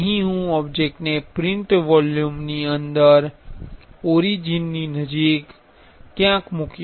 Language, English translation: Gujarati, Here I will place the object somewhere near the origin, inside the print volume